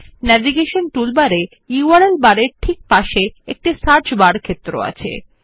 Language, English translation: Bengali, Next to the URL bar on the navigation toolbar, there is a Search bar field